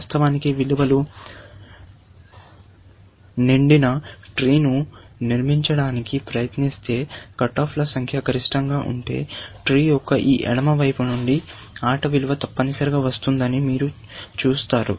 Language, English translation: Telugu, In fact, if you try to construct a tree in which, you fill in values, so that, the number of cut offs are maximum, you will see that the game value will come from this left side of the tree, essentially